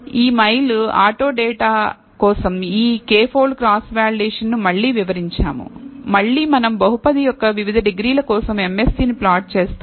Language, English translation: Telugu, Again we have illustrated this k fold cross validation for this mile auto data, again we plot the MSE for different degrees of the polynomial